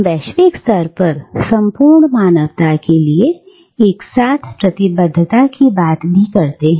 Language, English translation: Hindi, And we also speak of a simultaneous commitment, at a global level, to the entire humanity